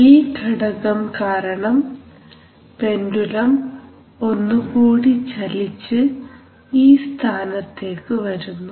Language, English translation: Malayalam, So now due to this component this pendulum will move further and will come to this position